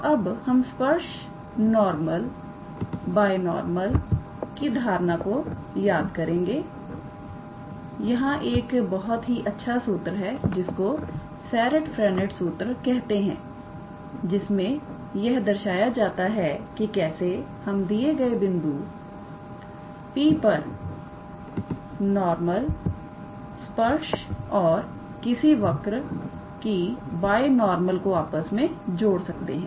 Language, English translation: Hindi, So, we will now learn the concepts of a tangent normal binormal, there is a very nice formula called as Serret Frenet formula that shows that how you connect in vector calculus the normal, the tangent and the binormal of a curve at a certain point P